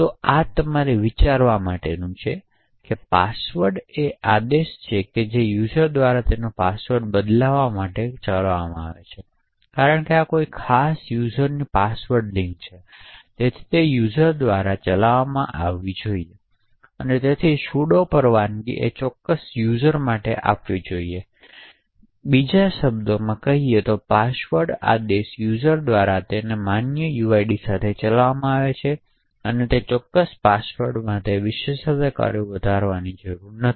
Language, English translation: Gujarati, So this is something for you to think about, password is a command that is run by a user to change his or her password, since this is a password link to a particular user, it should be run by a user and therefore the sudo permission should not be given for that particular user, in other words the password command is executed by a user with his normal uid and does not require to escalate privileges for that particular password